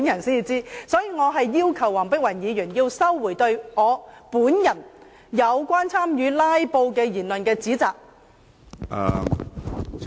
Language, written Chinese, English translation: Cantonese, 所以，我要求黃碧雲議員收回有關我本人參與"拉布"的言論和指責。, Therefore I ask Dr Helena WONG to withdraw her remarks and accusation about my taking part in filibustering